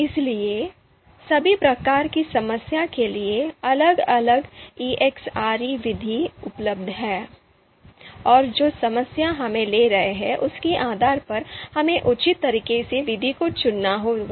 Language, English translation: Hindi, So for all kinds of problem, all types of problem, different ELECTRE methods are available, and depending on the problem that we are taking, we will have to pick the method appropriately